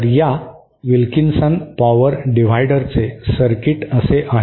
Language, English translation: Marathi, So, the circuit for this Wilkinson power divider is like this